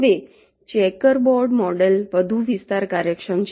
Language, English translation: Gujarati, ok now, checker board mod model is more area efficient